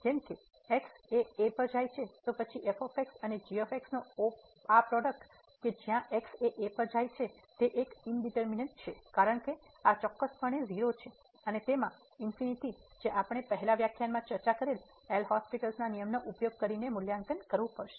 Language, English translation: Gujarati, As goes to a then this product of into this as x goes to is is indeterminate, because this is precisely 0 and into infinity which we have to evaluate using the L’Hospital rule discussed in the last lecture